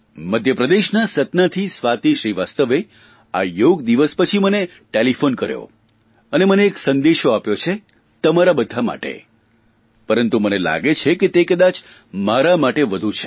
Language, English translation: Gujarati, Swati Srivastava from Satna in Madhya Pradesh, called me up on telephone after the Yoga Day and left a message for all of you but it seems that it pertains more to me